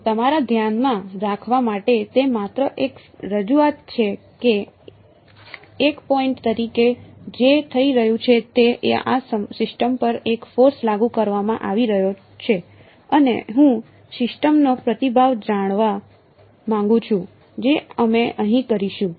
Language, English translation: Gujarati, But its just a representation to keep in your mind that what is happening as one point there is a force being applied to this system and I want to find out the response of the system that is what we will doing over here